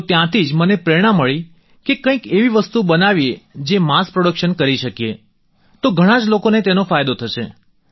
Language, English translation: Gujarati, From there, I got the inspiration to make something that can be mass produced, so that it can be of benefit to many people